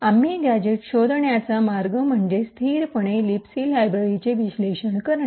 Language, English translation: Marathi, The way we find gadgets is by statically analysing the libc library